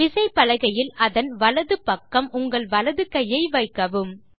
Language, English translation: Tamil, Now, place your right hand, on the right side of the keyboard